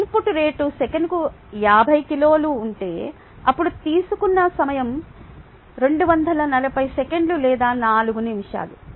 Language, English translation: Telugu, if the input rate is fifty kilogram per second, then the time that is taken is two forty seconds or four minutes